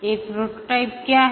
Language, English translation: Hindi, What is a prototype